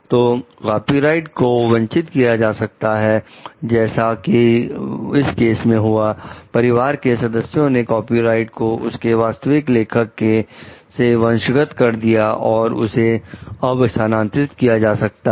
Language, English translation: Hindi, So, copyrights can be inherited like in this case the family members have inherited the copyright from the original author and it can be transferred also